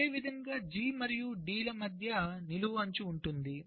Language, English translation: Telugu, similarly, between g and d there is a vertical edge